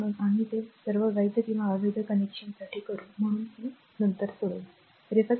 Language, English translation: Marathi, So, we will do this all valid or invalid connections so, you will solve this one right